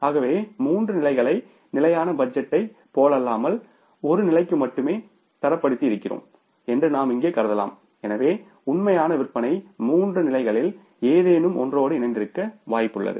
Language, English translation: Tamil, So, we can assume here that once we have created the budget for three levels, not for one level only unlike the static budget, so means it is quite likely that actual sales may coincide with any of the three levels